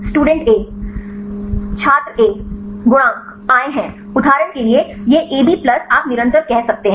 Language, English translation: Hindi, The coefficients are come this for example, this a b plus a you can say constant